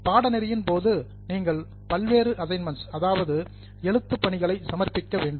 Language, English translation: Tamil, You will need to submit various assignments during the course